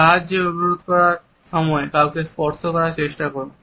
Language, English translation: Bengali, Try touching someone when requesting assistance